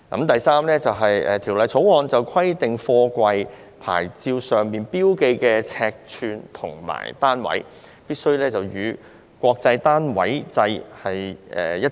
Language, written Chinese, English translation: Cantonese, 第三，是《條例草案》規定貨櫃的牌照上標記的尺寸與單位，必須與國際單位制一致。, Third the Bill requires that the physical dimensions and units marked on the SAPs of containers be aligned with the International System of Units